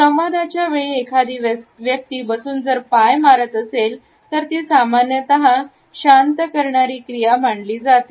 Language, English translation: Marathi, During the dialogue if a person is a stroking his leg while sitting, it normally is considered to be a pacifying action